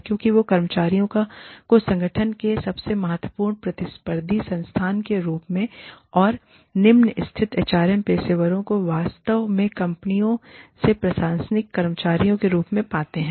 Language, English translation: Hindi, Because, they manage employees as, organization's most important competitive resource, and the low status HRM professionals, actually received as administrative staff, in companies